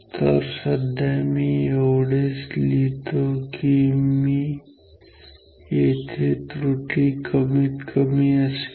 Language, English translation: Marathi, So, let me write we will have least error we will have